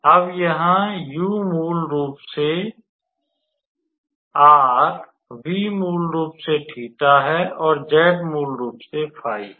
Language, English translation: Hindi, Now, here u is basically r, v is basically theta, and z is basically phi